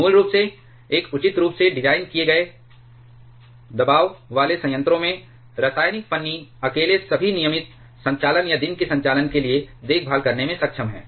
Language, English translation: Hindi, Basically, in a properly designed pressurized water reactors, chemical shim alone is able to take care of all the regular operations or day to day operations